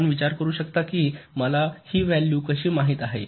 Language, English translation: Marathi, well, you can ask that: how do i know these values